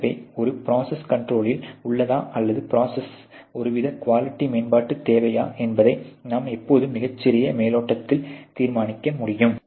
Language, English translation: Tamil, So, that you can always in a very small cursory glass determine with a process is in control or the process need some kind of a quality improvements